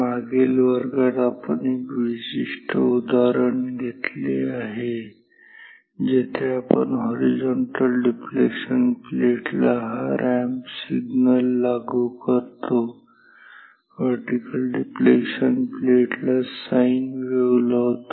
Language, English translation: Marathi, In the previous class we have taken a specific example where we apply this ramp signal, across the horizontal deflecting plate and the sine wave across the vertical deflection plate